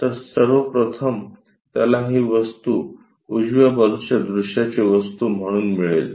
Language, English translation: Marathi, So, first of all, he will get this one as the object for the right side view